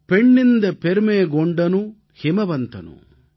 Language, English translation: Tamil, Penninda permegondanu himavantanu